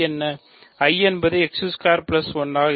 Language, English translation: Tamil, I is x squared plus 1